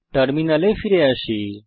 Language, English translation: Bengali, Come back to terminal